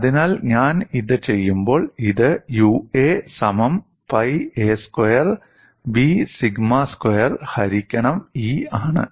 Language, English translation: Malayalam, So, when I do this, I get this as U a equal to pi a squared B sigma squared divided by E